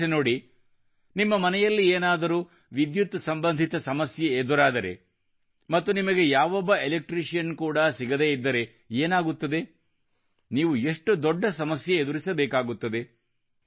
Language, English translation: Kannada, Think about it, if there is some problem with electricity in your house and you cannot find an electrician, how will it be